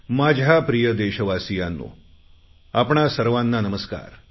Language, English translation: Marathi, My dear fellow citizens, Namaskar